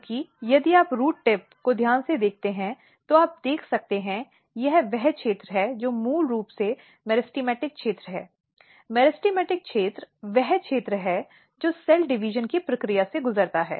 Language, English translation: Hindi, Because if you look the root tip carefully, so, in this picture, you can see this is the region which is basically the meristematic region; meristematic region is the region which undergo the process of cell division mostly